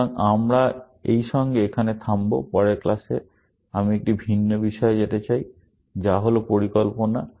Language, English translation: Bengali, In the next class, I want to move to a different topic, which is that of planning